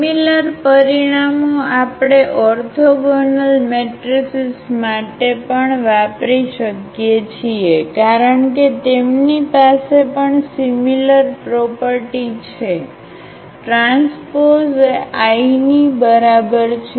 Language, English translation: Gujarati, Same results we can also use for the orthogonal matrices because they are also having the same property a transpose A is equal to I